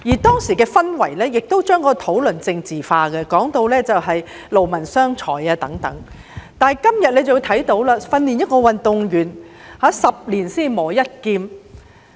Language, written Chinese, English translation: Cantonese, 當時的氛圍將整個討論政治化，有人更提到勞民傷財，但今天我們看到訓練一名運動員是"十年才磨一劍"。, Under the atmosphere back then the whole discussion was politicized . Some even mentioned that it was a waste of manpower and money . However today we see that it takes 10 years of training for an athlete to excel